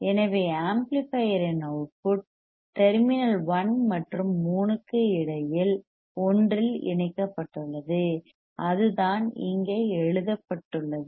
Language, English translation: Tamil, So, the output of the amplifier is connected to one between terminal 1 and 3 that is what it is written here